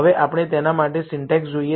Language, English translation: Gujarati, Now, let us look at the syntax for it